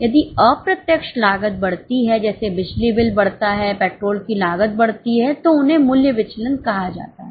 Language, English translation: Hindi, If the indirect cost increase like, say, electricity bill increases, cost of petrol increases, they are called as price variances